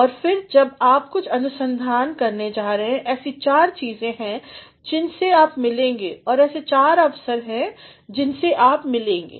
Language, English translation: Hindi, And, then when you are going to do some amount of research, there are four things that you come across and there are four opportunities you come across